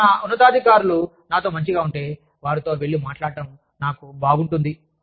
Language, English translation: Telugu, And, if my superiors feel comfortable with me, going and speaking to them